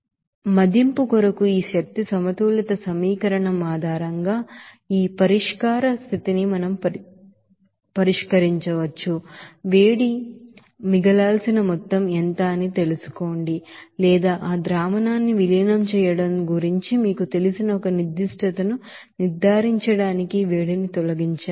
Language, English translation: Telugu, So we can solve this status of solution based on this energy balance equation for the assessment of you know what will be the amount of heat should be added or heat should be removed for making a certain you know, extent of dilution of that solution